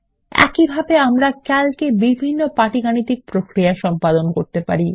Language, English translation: Bengali, Similarly, we can perform various arithmetic operations in Calc